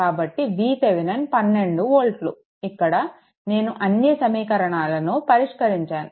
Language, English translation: Telugu, So, V Thevenin is equal to 12 volt here, it is already solved here everything is solved here